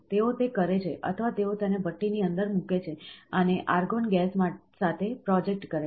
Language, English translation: Gujarati, So, they do it, or they put it inside a furnace and project with argon gas